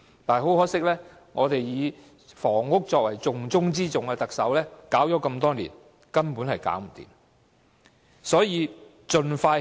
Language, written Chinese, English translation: Cantonese, 不過，很可惜，以房屋作為"重中之重"的特首搞了這麼多年，始終無法解決問題。, However to our great disappointment after years of adjustments to the housing policy which the Chief Executive described as amongst the top priorities the problem still remained unresolved